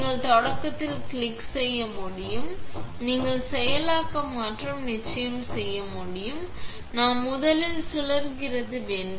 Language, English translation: Tamil, When you click start you can also do processing and of course, we need to spins first